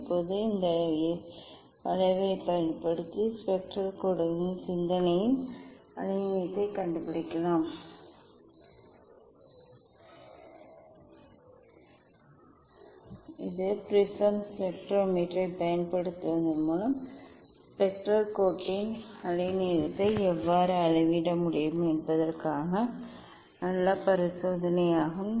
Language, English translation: Tamil, now, using this curve we can find out the wavelength of thought of the spectral lines that is the nice experiment how using the prism spectrometer one can measure the wavelength of the spectral line